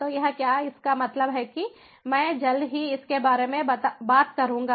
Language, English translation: Hindi, so what it means, i will talk about it shortly